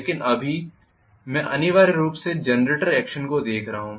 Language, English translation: Hindi, But right now I am essentially looking at the generator action